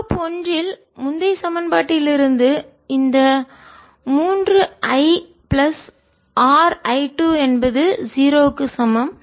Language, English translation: Tamil, and from the previous equation in loop one, this three, i plus r i two is equal to zero